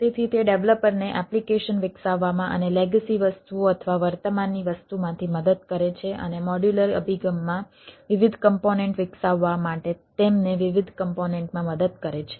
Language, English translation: Gujarati, right, so it helps developer to develop applications and from the legacy things or the existing thing and help them to different component to, to develop different components in a modular approach